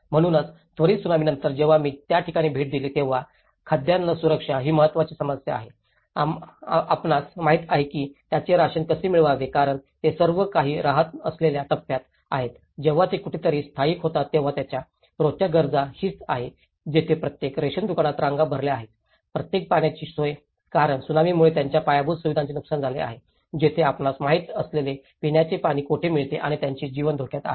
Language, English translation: Marathi, So, now immediately after the post Tsunami when I visited the place, the important issues are the food security, you know how to get their rations because they are all after the relief stage when they settle somewhere, so their daily needs, this is where every ration shop is full of queues, every water facility because their infrastructure has been damaged because of the Tsunami, where do they get the drinking water you know and their livelihood is in threat